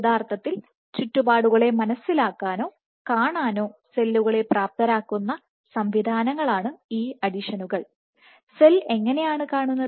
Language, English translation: Malayalam, And these adhesions are the mechanisms which enable cells to actually sense or see the surroundings, and how does the cell see